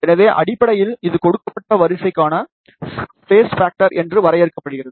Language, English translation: Tamil, So, basically this defines the space factor, for a given array